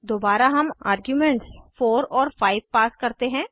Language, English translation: Hindi, Again we pass arguments as 4 and 5